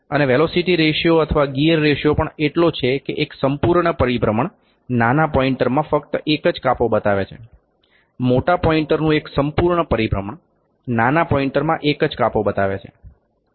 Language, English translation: Gujarati, And also the velocity ratio or the gear ratio is such that one full rotation is only making one division in the smaller pointer; one full rotation of the bigger point is making one division in the smaller pointer